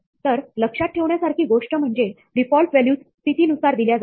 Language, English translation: Marathi, So, the thing to keep in mind is that, the default values are given by position